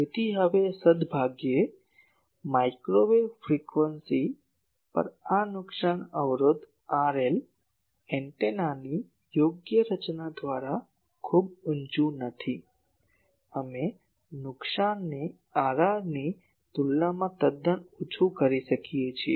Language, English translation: Gujarati, So, now fortunately at microwave frequencies this loss resistance R l, this is not very high by proper designing of antenna, we can make this loss quite low compared to R r